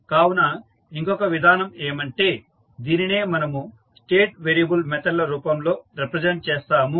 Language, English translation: Telugu, So, the alternate way can be that, we represent the same into state variable methods